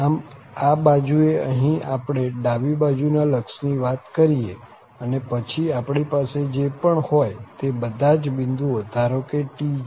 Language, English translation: Gujarati, So, at this end, we are talking about the left limit here and then at all these points in between wherever we have, let say this is tj